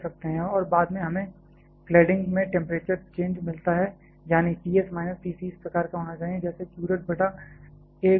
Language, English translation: Hindi, And subsequently we get the temperature change across the cladding; that is, T s minus T c should be of a form like this q dot b by A into k c l